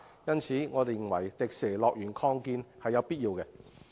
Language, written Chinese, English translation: Cantonese, 因此，我認為擴建迪士尼樂園是有必要的。, Thus I consider it necessary to expand the Disneyland